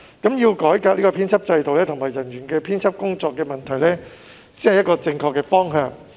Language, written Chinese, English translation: Cantonese, 因此，改革編輯制度和製作人員的編輯工作，才是正確的方向。, Hence the correct direction is that we should introduce reform to the editorial management system and the editorial work of production officers